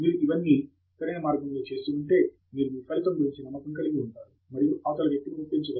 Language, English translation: Telugu, If you have done all of these in a proper way, then you can be convinced about your result and it is all a matter of convincing the other person